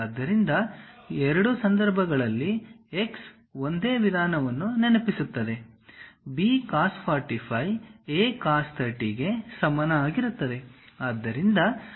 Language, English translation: Kannada, So, in both cases x remind same means, B cos 45 is equal to A cos 30